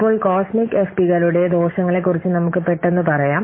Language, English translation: Malayalam, Now let's quickly see about the what disadvantages of the cosmic FPs